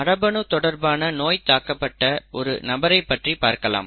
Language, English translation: Tamil, Let us look at a person affected with a genetic disease